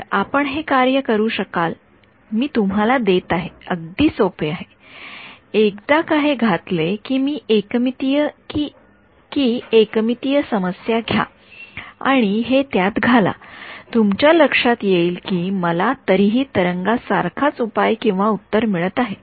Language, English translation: Marathi, So, you can work it out I am just giving you it is very simple ones just put this out take a 1D wave problem put it in you will find that I still get a wave like solution ok